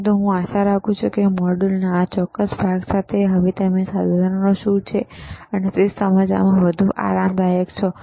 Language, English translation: Gujarati, But, but I hope that with this particular set of modules, you are now able to or you are more comfortable in understanding what are these equipment’s are